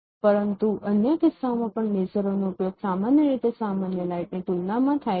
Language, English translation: Gujarati, But in other cases also lasers are mostly used compared to with respect to the ordinary lights